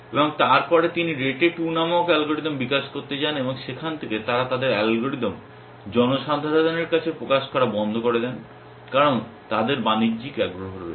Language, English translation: Bengali, And then he went on to develop algorithm called rete 2 and from there onwards they stop disclosing their algorithm to the public because they have commercial interest